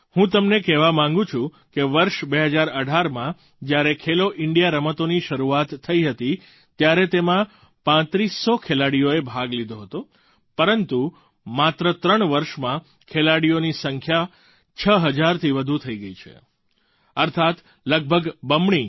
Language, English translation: Gujarati, I wish to tell all of you that in 2018, when 'Khelo India Games' were instituted, thirtyfive hundred players took part, but in just three years the number of players has increased to more than 6 thousand, which translates to the fact that it has almost doubled